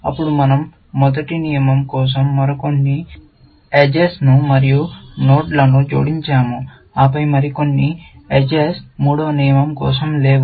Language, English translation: Telugu, Then, we added few more edges and nodes for the first rule, and then, a few more edges, missing for the third rule